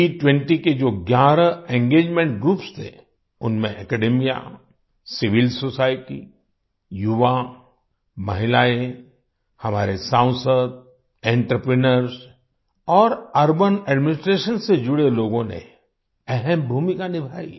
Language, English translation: Hindi, Among the eleven Engagement Groups of G20, Academia, Civil Society, Youth, Women, our Parliamentarians, Entrepreneurs and people associated with Urban Administration played an important role